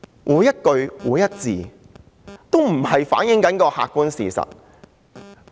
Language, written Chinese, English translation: Cantonese, 每一句、每一個字皆不是反映客觀事實。, Not a single sentence or word has reflected objective facts